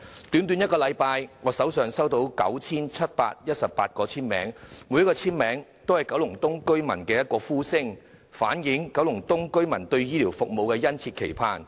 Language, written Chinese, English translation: Cantonese, 短短1星期，我已收到 9,718 個簽名，每一個簽名也代表九龍東居民的一把聲音，反映他們對醫療服務的殷切期盼。, In just one week I received 9 718 signatures . Each of these signatures represents the opinion of a resident in Kowloon East and their keen aspiration for healthcare services